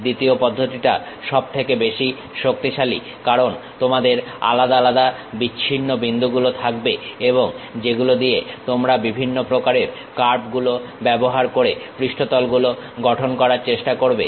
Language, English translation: Bengali, The second method is most powerful because you will be having isolated discrete points and you try to construct surfaces using different kind of curves through which